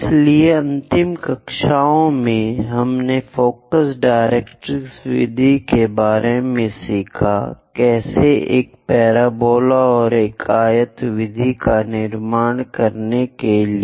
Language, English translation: Hindi, So, in the last classes, we have learned about focus directrix method; how to construct a parabola and a rectangle method